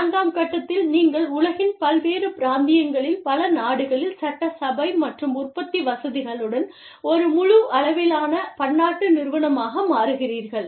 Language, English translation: Tamil, And, stage four, you become a full fledged multinational corporation, with assembly and production facilities, in several countries, in different regions of the world